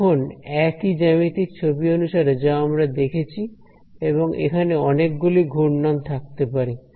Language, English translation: Bengali, It is again the same as the geometric picture that we had that there are many many swirls over here right